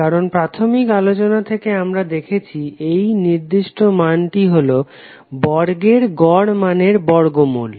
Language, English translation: Bengali, Because from the initial convention we have seen that this particular value is nothing but root of square of the mean value